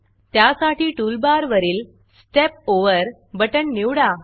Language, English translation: Marathi, To do that, choose the Step Over button from the toolbar